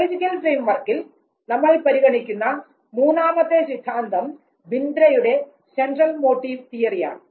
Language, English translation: Malayalam, The third theory which is considered at the biological framework is the Central Motive Theory given by Bindra